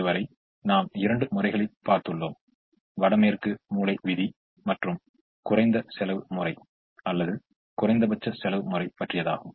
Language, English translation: Tamil, so far we have seen two methods: the north west corner rule and the least cost method or minimum cost method